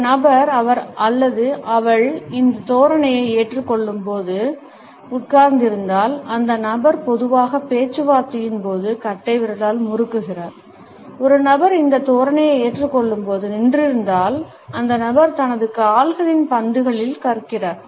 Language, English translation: Tamil, If a person is sitting while he or she is adopted this posture, the person normally twiddles with the thumb during talks and if a person is a standing adopting this posture, the person rocks on the balls of his feet